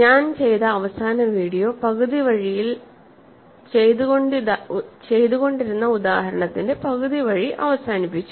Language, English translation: Malayalam, And I ended the last video, half way between, half way in the example that we are doing